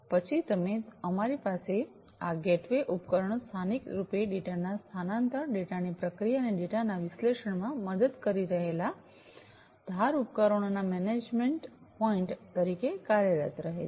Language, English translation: Gujarati, Then you, we have these gateway devices acting as the management points for the edge devices locally transferring helping in the transferring of the data, processing of the data, and analysis of the data